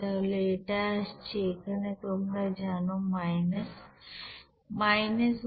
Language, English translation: Bengali, So it will be coming as here minus, you know that 111759